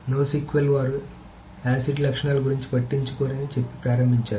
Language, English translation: Telugu, So NOSQL started off by saying that they do not care about acid properties